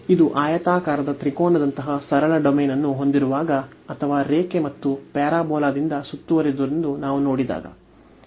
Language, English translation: Kannada, So, this when we have the simple domain like the rectangular triangular or when we have seen with which was bounded by the line and the parabola